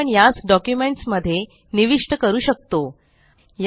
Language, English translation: Marathi, We can now insert this into documents